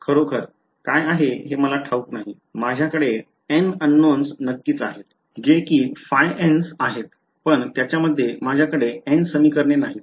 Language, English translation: Marathi, Not really I have n unknown for sure which are the phi ns, but I do not have n equations in them